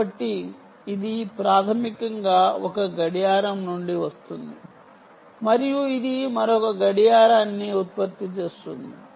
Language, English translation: Telugu, so that will basically come from from one clock and it can generate another clock